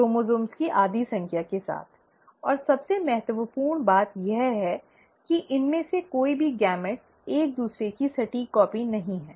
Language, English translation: Hindi, With half the number of chromosomes, and most importantly, none of them, none of these gametes are an exact copy of each other